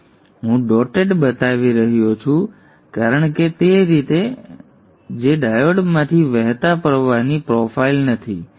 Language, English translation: Gujarati, Now I've shown the dotted because that is not the way that is not the profile of the current flowing through the diune